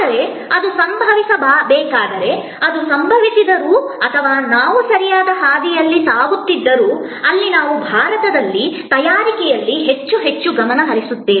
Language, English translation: Kannada, But, even that, even if that and that should happen, so even if that happens and we go on the right path, where we focus more and more on make in India